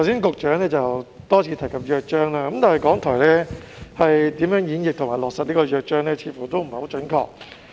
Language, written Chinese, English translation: Cantonese, 局長剛才多次提及《約章》，但港台在演繹和落實《約章》方面似乎有欠準確。, The Secretary has repeatedly mentioned the Charter just now but it seems that RTHK has failed to interpret and implement the Charter accurately